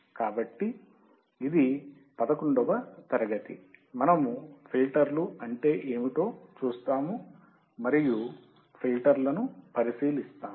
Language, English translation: Telugu, So, this is our class number 11; and we will look at the filters, we will see what are the filters